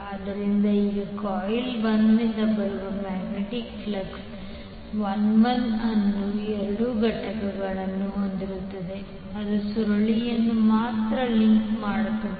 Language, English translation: Kannada, So now the magnetic flux 51 which will be coming from the coil 1 will have 2 components one components that Links only the coil 1